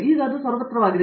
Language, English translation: Kannada, So, now it is so ubiquitous